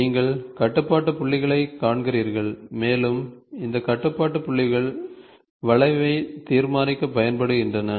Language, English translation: Tamil, So, you see the control points and these control points are used to decide the curve